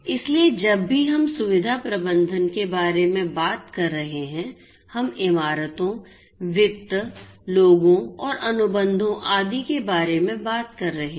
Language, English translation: Hindi, So, whenever we are talking about facility management we are talking about buildings, finance, people, contracts and so on